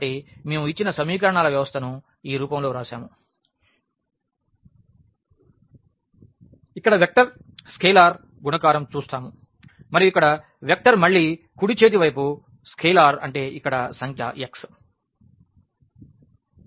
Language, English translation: Telugu, So, we have written the given system of equations in this form where we see the vector scalar multiplication vector scalar multiplication and here the vector again the right hand side the scalar means this the number x here